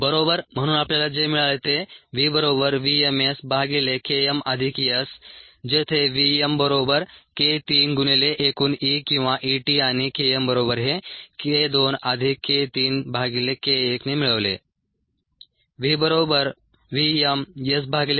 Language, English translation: Marathi, so this is what we got: v equals v m s by k m plus s, where v m equals k three into e total or e t and k m is k two plus k three by k one